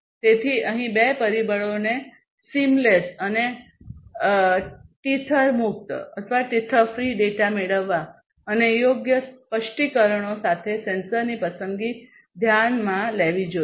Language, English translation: Gujarati, So, here two factors should be considered obtaining seamless and tether free data and selection of sensors with proper specifications